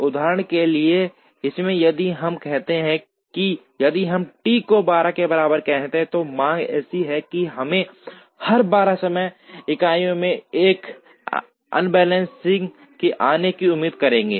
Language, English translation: Hindi, For example, in this, if we say that, if we say T equal to 12, then the demand is such that we would expect an assembly to come out every 12 time units